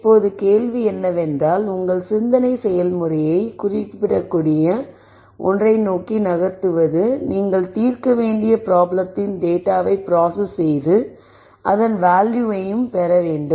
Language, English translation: Tamil, Now the question really is to then drive your thought process towards something that is codable, something that you can process the data with to derive value to do any problem that you are solving and so on